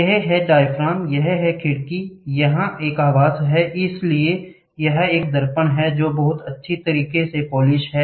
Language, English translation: Hindi, These are the diaphragm, this is a window, here is housing, so here is a mirror which is polished very well